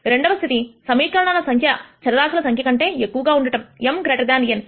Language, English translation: Telugu, The second case is where the number of equations are lot more than the number of variables m greater than n